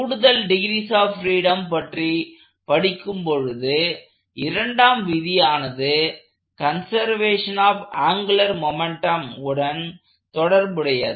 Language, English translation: Tamil, That if I have to also study this additional degree of freedom, then there is a second law which pertains to conservation of angular momentum